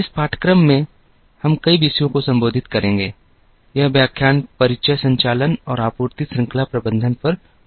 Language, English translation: Hindi, In this course, wewill be addressing several topics,this lecture will be on introduction to operations and supply chain management